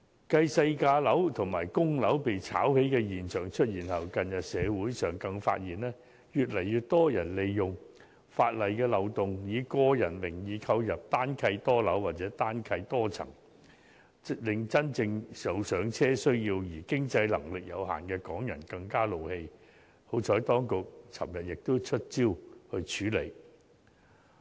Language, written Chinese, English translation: Cantonese, 繼細價樓及公屋被炒起的現象出現後，近日社會上更發現，越來越多人利用法例的漏洞，以個人名義購入"單契多樓"或"單契多層"，令真正有"上車"需要而經濟能力有限的港人更憤怒，幸好當局昨日已"出招"處理。, Following the soaring of prices of low - priced residential flats and public housing units due to speculative activities there have been an increasing number of cases in which people took advantage of legal loopholes to buy multiple residential flats or multiple residential floors under a single instrument in their names . Those who have genuine need to buy their first properties but with limited financial capability are furious about this situation . Fortunately the authorities introduced measures to deal with the problem yesterday